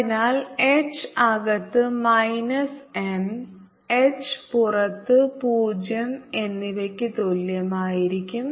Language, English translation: Malayalam, so h inside will be equal to minus m and h outside will be equal to zero